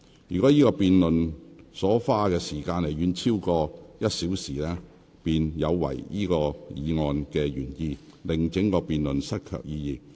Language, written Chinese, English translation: Cantonese, 若辯論這項議案所花的時間遠遠超過1小時，便有違議案的原意，令整項辯論失卻意義。, If the debate on this motion takes up far more than an hour it will be contrary to the original intent of this motion rendering this debate meaningless